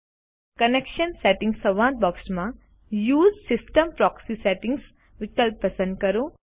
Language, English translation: Gujarati, In the Connection Settings dialog box, select the Use system proxy settings option